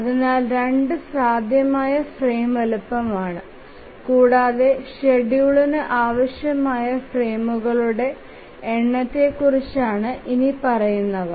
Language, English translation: Malayalam, So 2 is a possible frame size but what about the number of frames that are required by the schedule